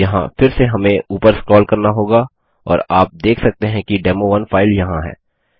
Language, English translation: Hindi, Here again we would scroll up and as you can see the demo1 file is there